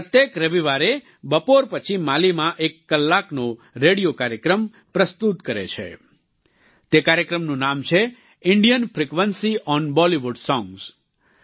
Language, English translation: Gujarati, Every Sunday afternoon, he presents an hour long radio program in Mali entitled 'Indian frequency on Bollywood songs